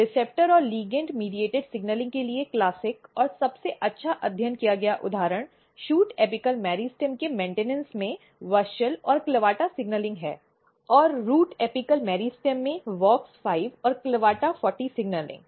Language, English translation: Hindi, The classical and best studied example for receptor and ligand mediated signaling is WUSCHEL and CLAVATA signaling in the maintenance of the shoot apical meristem, and WOX5 and CLAVATA40 signaling in the root apical meristem